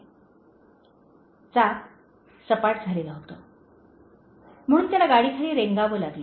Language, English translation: Marathi, ” The tire was flat, so he had to crawl under the car